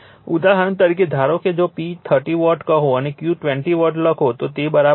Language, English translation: Gujarati, For example, suppose if you write P is equal to say 30 watt and Q is equal to your 20 var right, it is ok